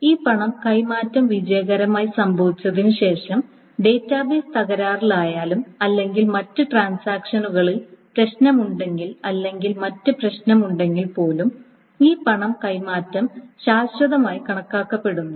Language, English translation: Malayalam, So after this transfer of money has been happened and if the transaction has succeeded successfully, that is, even if the database crashes or there are other problems in other transactions, there are other issues, this transfer of money is deemed to be permanent